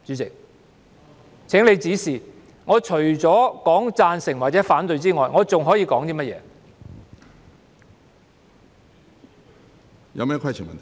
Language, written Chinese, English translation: Cantonese, 請主席指示，我除了說贊成或反對之外，我還可以說甚麼？, President please give me guidance as to what I can say other than stating my support or opposition